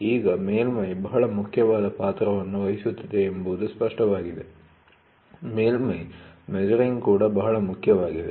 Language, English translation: Kannada, So, now, it is very clear that surface plays a very important role, the surface measuring is also very important